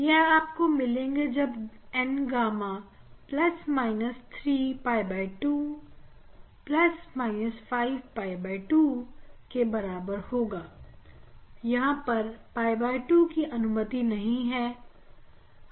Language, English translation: Hindi, When you will get the N gamma N gamma will be when a pi by 2 3 pi by 2, but pi by 2 is not allowed, pi by 2 is not allowed